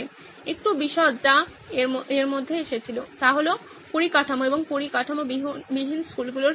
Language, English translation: Bengali, A little detail that came in between was that what about schools with infrastructure and without infrastructure